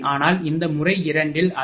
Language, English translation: Tamil, But in this method 2 also it is coming actually, 61